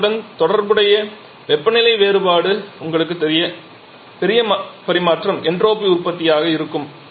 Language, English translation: Tamil, And you know that larger the temperature difference associated with heat transfer larger will be the entropy generation